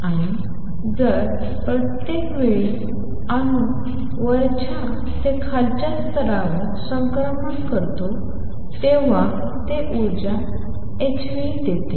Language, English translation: Marathi, And each one every time an atom makes a transition from upper to lower level it gives out energy h nu